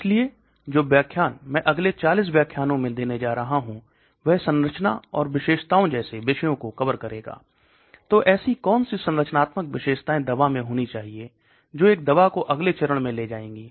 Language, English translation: Hindi, So the lecture which I am going to give in the next 40 lectures will cover topics like structure and property, so what are the structural features that a drug should have which will lead to certain property